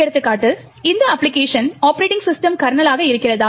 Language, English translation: Tamil, Example, is the application happens to be the operating system kernel